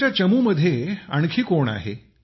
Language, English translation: Marathi, Who else is there in your team